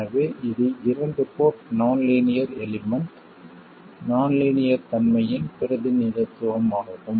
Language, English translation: Tamil, So, that is the representation of a 2 port nonlinear element, 2 port non linearity